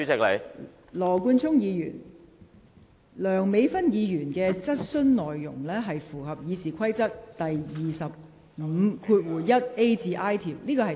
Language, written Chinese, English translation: Cantonese, 羅冠聰議員，梁美芬議員的質詢內容符合《議事規則》第25條1款 a 至 i 段的規定。, Mr Nathan LAW the content of Dr Priscilla LEUNGs question is in line with the stipulations under Rule 251a to i of the Rules of Procedure